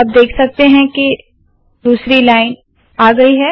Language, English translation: Hindi, You see that a vertical line has come